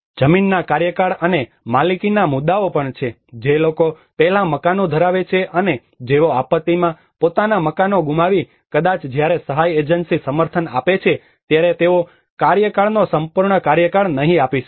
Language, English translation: Gujarati, Also there are issues of land tenure and ownership, the people who are having houses before and but who have lost their houses in the disaster maybe when the aid agency support they may not give the tenure full tenure